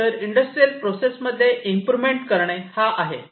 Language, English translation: Marathi, So, industrial processes are different